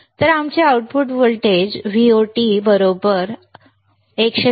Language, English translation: Marathi, So, our output voltage Vot would be 110